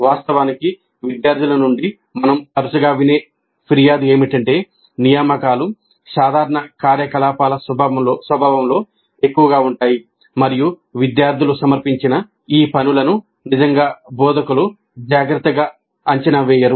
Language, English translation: Telugu, In fact, a complaint that we often hear from students is that the assignments are more in the nature of a routine activity and these assignments submitted by the students are not really evaluated carefully by the instructors